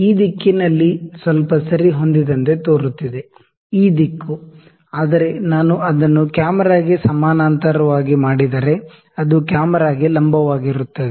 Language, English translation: Kannada, It looked like it is aligned on little this side, this direction, ok, but if I make it parallel to the camera on the straight perpendicular to the camera